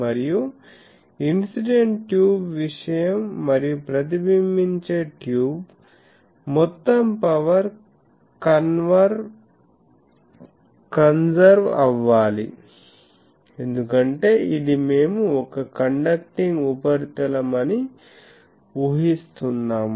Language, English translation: Telugu, And, incident tube thing and the reflected tube, total power that should be conserved because, this we are assuming to be a conducting surface ok